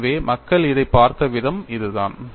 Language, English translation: Tamil, So, this is the way people have looked at it